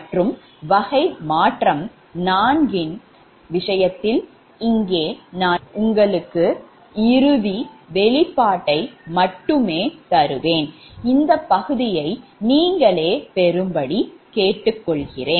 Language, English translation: Tamil, and in that case, of type four modification here i will only give you the final expression and i will request you to derive this part, right